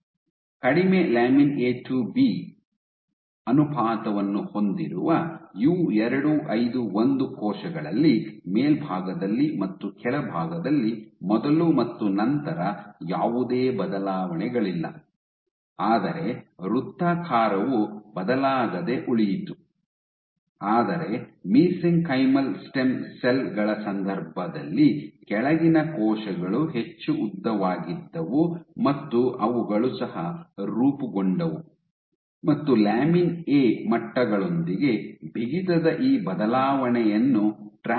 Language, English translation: Kannada, So, in U251 cells which had low lamin A to B ratio, there was no change before and after at the top and the bottom the circularity remained unchanged, but in case of mesenchymal stem cells the bottom cells were much more elongated, and what they also formed was you could track this change in stiffness with the lamin A levels ok